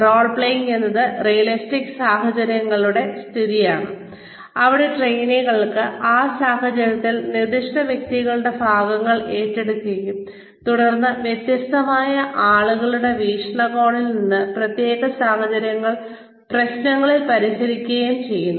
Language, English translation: Malayalam, Role playing is the creation of realistic situations, where trainees assume the parts of specific persons in that situation, and then solve problems, from the perspective of different players, in specific situations